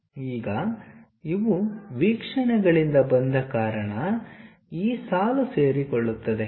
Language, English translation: Kannada, Now, because these are from views, this line this line coincides